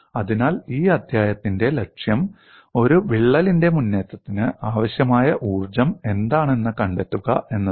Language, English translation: Malayalam, So, the goal in this chapter is to find out, what is the kind of energy required for advancement of a crack